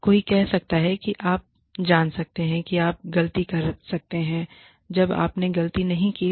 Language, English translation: Hindi, Somebody could say, you know, could say, that you made a mistake, when you have not made a mistake